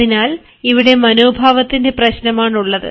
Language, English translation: Malayalam, so here we find it is a question of attitude